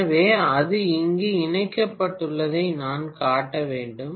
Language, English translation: Tamil, So I should show it as though this is connected here, okay